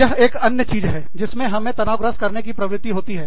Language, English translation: Hindi, That is another thing, that tends to stress us out